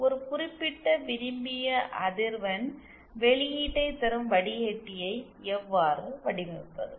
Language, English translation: Tamil, How to design a filter that will provide us a particular desired frequency response